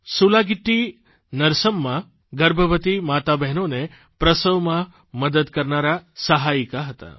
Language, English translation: Gujarati, SulagittiNarsamma was a midwife, aiding pregnant women during childbirth